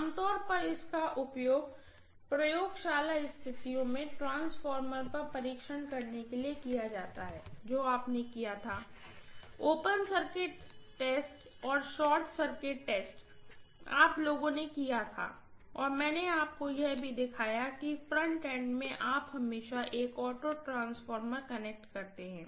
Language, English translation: Hindi, Typically it is used in laboratory conditions very commonly for conducting test on transformer which you had done, open circuit test and short circuit test, you guys had done and I showed you also that in the front end you always connect an auto transformer, right